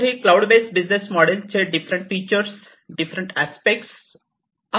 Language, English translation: Marathi, So, then we have in the cloud based service models different aspects